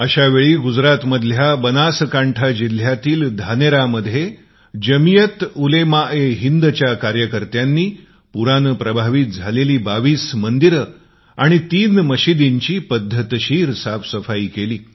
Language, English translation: Marathi, That is when, in Dhanera in the Banaskantha District of Gujarat, volunteers of JamiatUlemaeHind cleaned twentytwo affected temples and two mosques in a phased manner